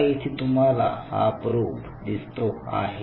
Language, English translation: Marathi, Now, here you are having the probe